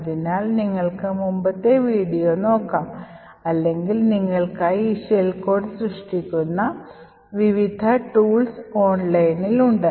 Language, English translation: Malayalam, So, you could look at the previous video or there are various tools online which would create these shell code for you